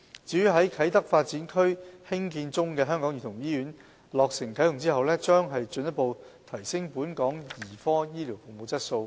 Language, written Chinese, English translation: Cantonese, 至於在啟德發展區興建中的香港兒童醫院在落成啟用後，將進一步提升本港兒科醫療服務的質素。, The Hong Kong Childrens Hospital which is currently under construction will further upgrade the quality of the paediatric healthcare service in Hong Kong upon its commissioning